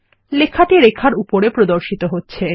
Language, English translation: Bengali, The text appears on the line